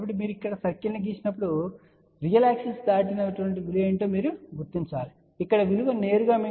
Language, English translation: Telugu, So, when you draw the circle here, what you can see whatever is this value which is crossing the real axis that value here will directly give you the VSWR value which is 3